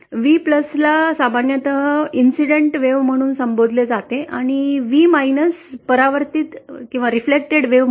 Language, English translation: Marathi, V + is usually referred to as the incident wave and V as the reflected wave